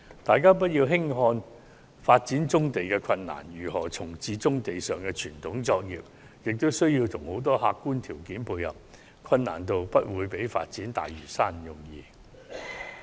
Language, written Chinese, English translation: Cantonese, 大家不要輕視發展棕地的困難，如何重置棕地上的傳統作業，亦需要很多客觀條件的配合，其難度不會低於發展大嶼山。, We should not underestimate the difficulties in developing brownfield sites and this is in fact no easier than developing the Lantau Island because the relocation of brownfield operations is also subject to numerous objective conditions